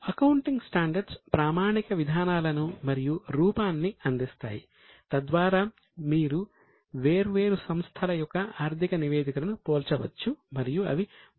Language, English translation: Telugu, Now, accounting standards provide framework and standard policies so that if you compare the financial statements of different entities, they are very much comparable